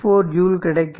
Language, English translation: Tamil, 4 joule, so 0